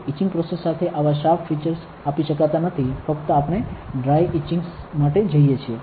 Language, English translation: Gujarati, So, with etching process may not give such sharp features for that only we go for dry etching